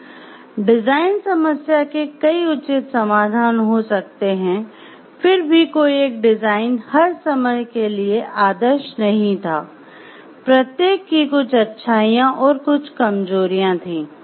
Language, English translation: Hindi, Several reasonable solutions to the design problem yet no design was ideal in every regard and each had strengths and weaknesses